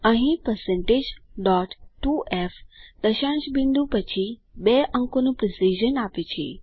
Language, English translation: Gujarati, Here#160% dot 2f provides the precision of two digits after the decimal point